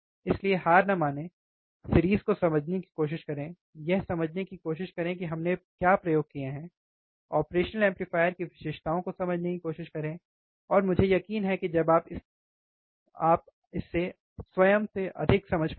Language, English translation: Hindi, So, do not give up, try to understand the series, try to understand what experiments we have done, try to understand the characteristics of the operational amplifier, and I am sure that you will understand more when you do it by yourself, alright